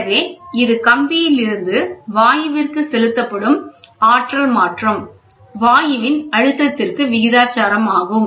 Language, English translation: Tamil, Hence, it follows the energy transfer from the wire to gas is proportional to the gas pressure